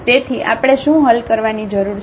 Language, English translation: Gujarati, So, what we need to solve